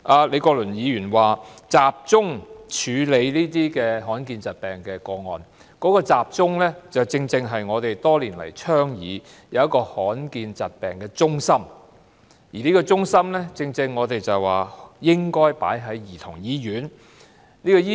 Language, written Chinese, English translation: Cantonese, 李國麟議員建議集中處理罕見疾病的個案，當中"集中"的地方，正是我們多年來倡議設立的罕見疾病中心，而我們建議該中心設在兒童醫院。, Prof Joseph LEE suggests centralizing the handling of rare disease cases . The centralization part of his suggestion matches with what we have been advocating for years that is establishing a centre for rare diseases and locating it in the Childrens Hospital